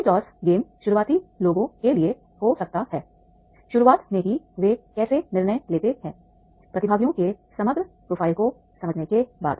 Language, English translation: Hindi, So ring term guess can be for the beginners, how they decide in the beginning itself after understanding the overall profile of the participants